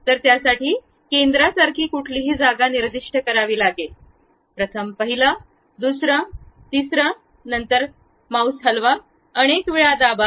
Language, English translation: Marathi, So, for that we have to specify somewhere like center, first one, second one, third one, then move, press escape several times